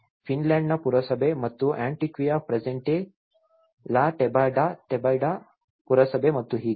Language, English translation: Kannada, The municipality of Finlandia and ‘Antioquia presente’, the municipality of La Tebaida and so on